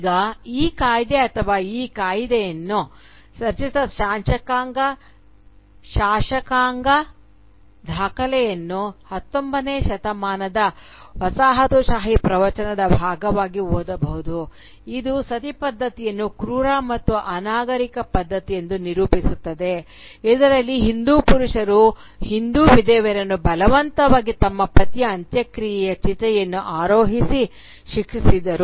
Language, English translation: Kannada, Now, this Act or the legislative document which formed this Act can be read as part of the 19th century colonial discourse which characterised the right of Sati as a brutal and barbaric custom in which the "Hindu men" punished the Hindu widow by forcing her to mount the funeral pyre of her husband